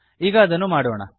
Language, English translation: Kannada, So lets do that